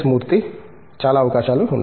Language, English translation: Telugu, Lot of opportunities